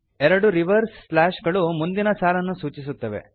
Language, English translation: Kannada, Two reverse slashes indicate next line